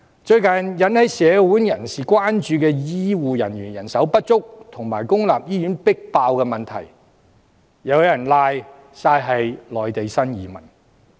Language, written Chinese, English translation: Cantonese, 最近引起社會人士關注的醫護人員人手不足及公立醫院擠迫的問題，又有人諉過於內地新移民。, There are again people who blame new arrivals from Mainland for health care manpower shortage and overcrowdedness in public hospitals which have aroused public concern lately